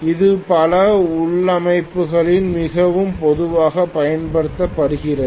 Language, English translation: Tamil, So this is very commonly used in many of the configurations